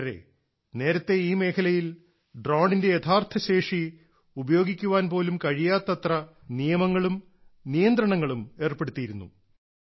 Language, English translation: Malayalam, Friends, earlier there were so many rules, laws and restrictions in this sector that it was not possible to unlock the real capabilities of a drone